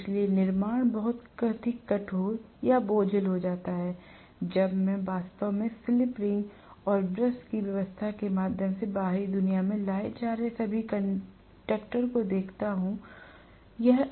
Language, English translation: Hindi, So the construction becomes much more strenuous and cumbersome, when I am actually looking at all the 4 conductors being brought out to the external world through slip ring and brush arrangement